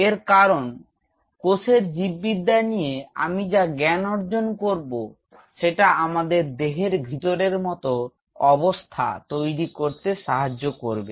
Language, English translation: Bengali, Because what is I understand the biology of the cells it will help us to recreate a situation which is similar to that of inside the body